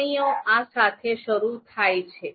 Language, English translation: Gujarati, Comments lines begin with this